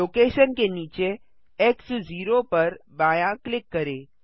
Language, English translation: Hindi, Left click X 0 under location